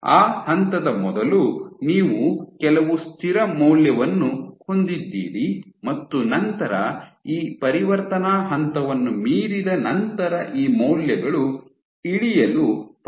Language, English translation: Kannada, So, before that point before that point you have some constant value and then these values after beyond this transition point, they start to drop